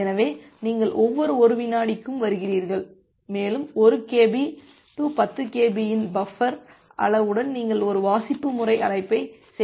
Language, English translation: Tamil, So, you are may be coming at every 1 second and you are making a read system call with the buffer size of 1 Kb 10 Kb